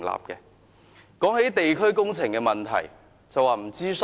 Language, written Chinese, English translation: Cantonese, 談到地區工程的問題，他們又說沒有諮詢。, When it comes to issues related to local works projects they would again say that they were not consulted